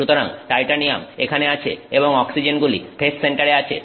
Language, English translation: Bengali, So, titanium is sitting here and the oxygens are in the face center